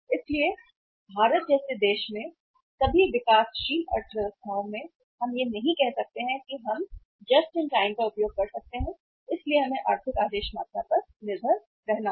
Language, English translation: Hindi, So in a country like India in all the developing economies we cannot say that we can use JIT so we will have to depend upon the economic order quantity